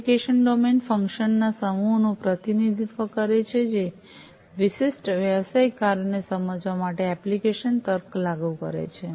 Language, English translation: Gujarati, The application domain represents the set of functions which implement the application logic to realize the specific business functions